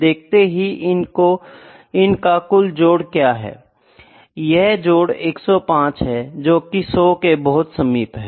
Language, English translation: Hindi, So, let me say what is the sum of these things let me say this is equal to sum of the sum is 105 that is close to 100